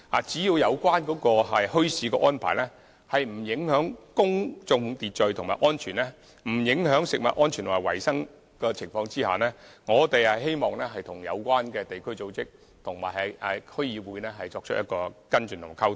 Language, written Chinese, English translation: Cantonese, 只要有關墟市的安排不影響公眾秩序及安全，亦不影響食物安全及衞生，我們希望與相關地區組織及區議會作出跟進及溝通。, Provided that the bazaars will not affect public order and safety as well as food safety and hygiene we wish to follow up the issues and communicate with relevant local bodies and respective District Councils